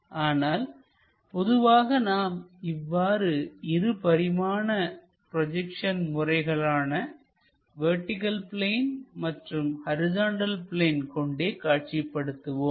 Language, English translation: Tamil, But, usually we go with this 2 dimensional projections like on vertical plane, horizontal plane